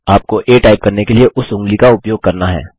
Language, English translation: Hindi, You need to use that finger to type a